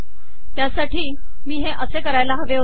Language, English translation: Marathi, So I should have done this here